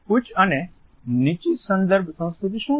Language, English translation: Gujarati, What is high and low context culture